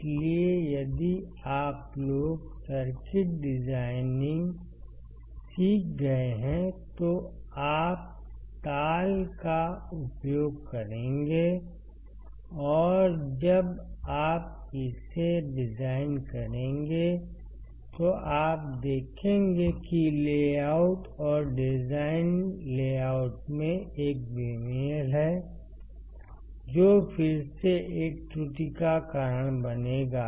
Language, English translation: Hindi, So, if you guys have learnt circuit designing, you will use cadence , and then you when you design it you will see the there is a mismatch in the layout and design layout, which will again lead to an error